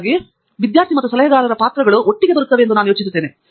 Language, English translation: Kannada, So, that is I think where the role of the both the student and the advisor sort of come together